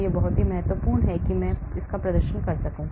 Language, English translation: Hindi, this is very very important, I perform